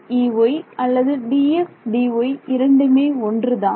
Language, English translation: Tamil, E x E y or D x D y, one and the same